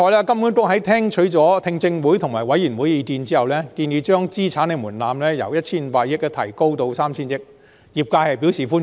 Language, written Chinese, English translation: Cantonese, 金管局在聽取了聽證會及委員會的意見後，建議將資產門檻由 1,500 億元提高至 3,000 億元，業界對此表示歡迎。, After listening to the hearings and the views of the Bills Committee HKMA proposed to raise the asset threshold from 150 billion to 300 billion which was welcomed by the industry